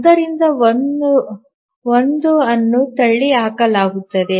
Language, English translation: Kannada, So 1 is ruled out